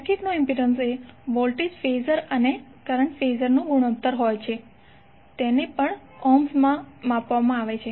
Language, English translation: Gujarati, The impedance of a circuit is the ratio of voltage phasor and current phasor and it is also measured in ohms